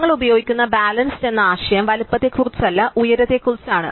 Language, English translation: Malayalam, Notion of balance that we will use is not with respect to size, but with respect to height